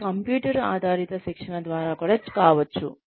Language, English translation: Telugu, It could even be through computer based training